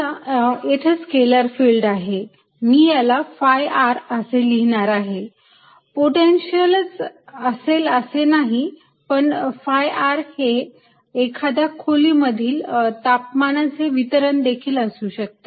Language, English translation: Marathi, now let me write this as phi r, not necessarily potential, but phi r, or it could be, say, temperature distribution in a room